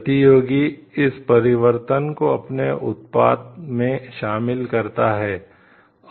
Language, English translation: Hindi, Competitor incorporates this change into its product